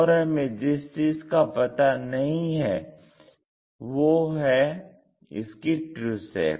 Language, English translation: Hindi, What we do not know is true shape